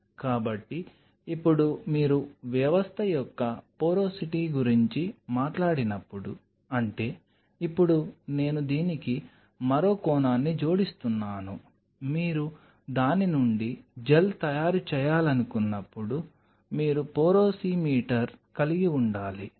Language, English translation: Telugu, So, now, when you talk of the porosity of the system; that means, now I am adding one more dimension to this you have to have porosimeter when you want you to make gel out of it